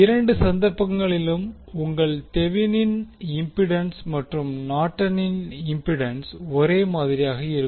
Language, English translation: Tamil, And in both of the cases your Thevenin’s impedance and Norton’s impedance will be same